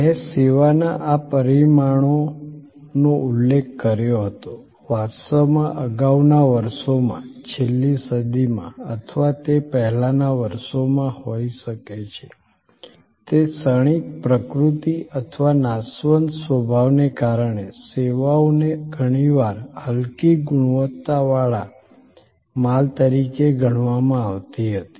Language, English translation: Gujarati, I had mentioned these dimensions of service in passing, in fact, in the earlier years, may be in the last century or earlier, services were often considered as sort of inferior goods, because of that transient nature or perishable nature